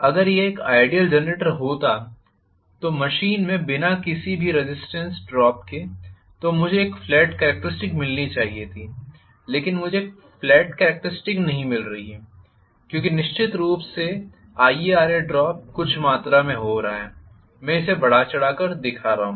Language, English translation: Hindi, If it had been an ideal generator without any drop in the form of resistance drop within the machine I should have gotten a flat characteristic, but I am not getting a flat characteristic because I am going to have definitely some amount of IaRa drop taking place I am showing this in an exaggerated fashion but this is my IaRa drop, Right